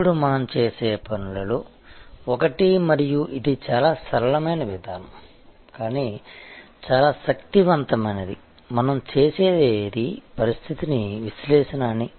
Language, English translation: Telugu, Now, one of the things we do and it is very simple approach, but quite powerful is what we do we call a situation analysis